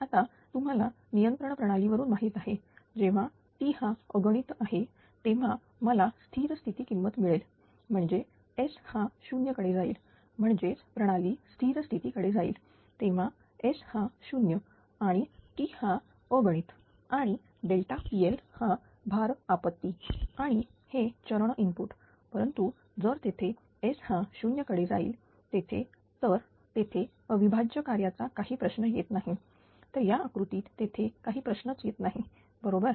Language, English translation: Marathi, Now, you know from your control system that when t tends to infinity, I will get the steady state value; that means, S tends to 0; that means, system reaches to steady state when S tends to 0 or t tends to infinity and delta P L is a load disturbance and at it is a step input, but if S tends to 0 here there is no question of you know integral function or integral controller type of thing